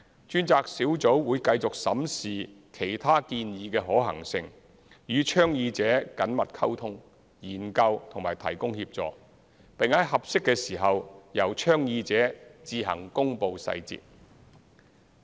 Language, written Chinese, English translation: Cantonese, 專責小組會繼續審視其他建議的可行性，與倡議者緊密溝通、研究及提供協助，並在合適的時間由倡議者自行公布細節。, The task force will continue to examine the feasibility of other proposals and closely communicate study and provide assistance with the proponents . The details of the projects will be announced by the proponents in due course